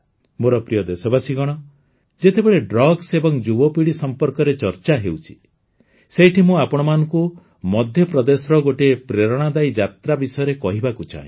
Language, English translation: Odia, My dear countrymen, while talking about drugs and the young generation, I would also like to tell you about an inspiring journey from Madhya Pradesh